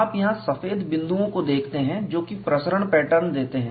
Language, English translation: Hindi, You see white dots here, which give the diffusion pattern